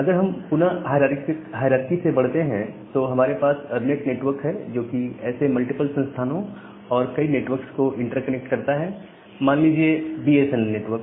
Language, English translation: Hindi, Now if we again go up to the hierarchy I have this ERNET network which interconnects multiple such institutes and several other networks; say, the BSNL network